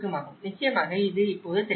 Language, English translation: Tamil, Of course, itís not legible now